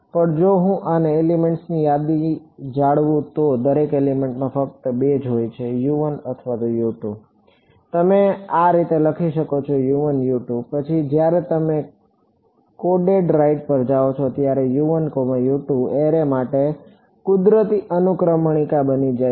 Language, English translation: Gujarati, But if I am maintaining a list of elements then within each element there only two U 1 or U 2 you could write it as U l and U r, but then when you go to coded right U 1 U 2 becomes natural indexes for an array right yeah